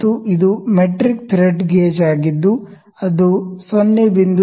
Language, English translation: Kannada, And this is a metric thread gauge which is having range from 0